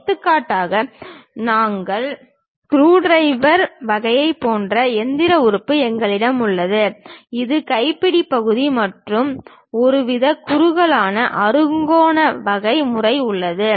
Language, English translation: Tamil, For example, we have such kind of machine element, more like our screwdriver type, where this is the handle portion and there is some kind of tapered hexagonal kind of pattern